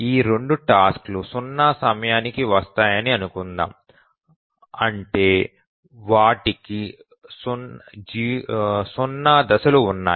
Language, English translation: Telugu, Let's assume that both of these arrive at time zero, that is they have zero phasing